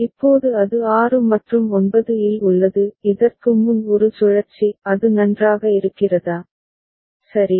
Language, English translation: Tamil, Now it is in 6th and 9th; one cycle before is it fine, ok